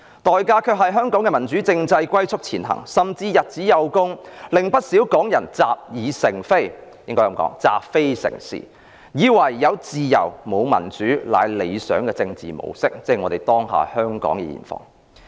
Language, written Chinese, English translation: Cantonese, 代價是香港的民主政制龜速前行，甚至日子有功，令不少港人習非成是，以為"有自由，沒有民主"是理想的政治模式，這是香港當下的現況。, The cost to Hong Kong was the tortoise speed of democratic development . As time goes on some Hong Kong people have become so accustomed to accepting the wrong as right that they regard having freedom without democracy as the desirable political model . That is the current situation of Hong Kong